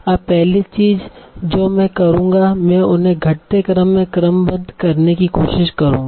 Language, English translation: Hindi, Now the first thing I will do I will try to sort them in the decreasing order